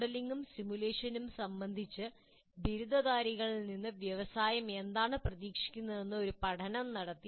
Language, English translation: Malayalam, Now, a study was conducted and where the industry, what is the industry expecting from graduates with regard to modeling and simulation